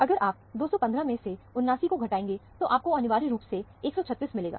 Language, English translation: Hindi, If you subtract 79 from 215, you will essentially get 136